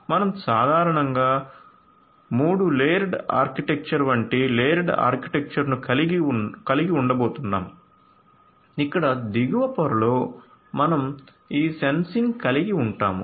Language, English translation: Telugu, So, we are going to have kind of a layered architecture typically like a 3 layer kind of architecture 3 layered architecture, where at the bottom layer we are going to have this sensing so, this is going to be our sensing or perception layer